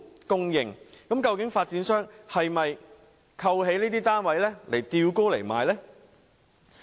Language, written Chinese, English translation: Cantonese, 究竟發展商是否扣起這些單位，待價而沽？, Are developers hoarding those units with a view to selling them at a higher price in the future?